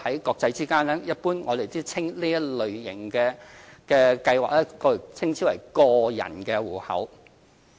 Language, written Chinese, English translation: Cantonese, 國際間，我們一般稱這類型的計劃為個人戶口。, This kind of account is generally known as personal account internationally